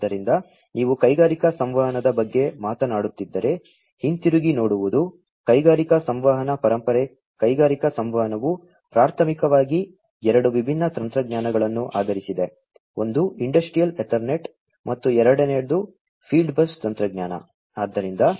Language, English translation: Kannada, So, looking back if you are talking about industrial communication; industrial communication legacy industrial communication was primarily, based on two different technologies; one is the Industrial Ethernet, and the second one is the field bus technology